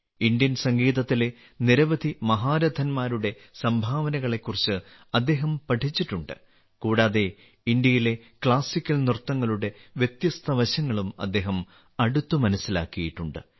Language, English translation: Malayalam, He has studied the contribution of many great personalities of Indian music; he has also closely understood the different aspects of classical dances of India